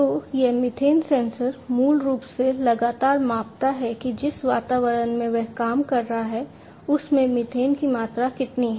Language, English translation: Hindi, So, this methane sensor; basically continuously measures that how much is the methane concentration in the environment in which it is operating